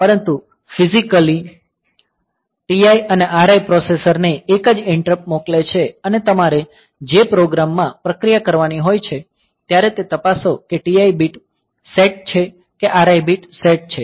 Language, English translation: Gujarati, But physically TI and RI also they are sending a single interrupt to the processor and the process in the program you need to check whether the TI bit is set or RI bit is set